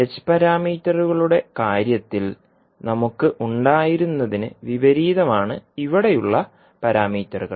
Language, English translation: Malayalam, So here you will see the parameters are opposite to what we had in case of h parameters